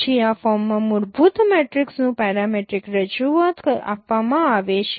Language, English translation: Gujarati, Then parametric representation of a fundamental matrix is given in this form